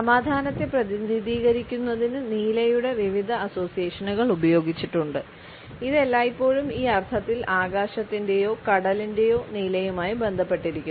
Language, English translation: Malayalam, Different associations of blue have also been used to represent peace and tranquility and it is always associated with the blue of the sky or the sea in this sense